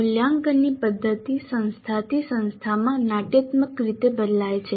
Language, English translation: Gujarati, The method of assessment varies dramatically from institution to institution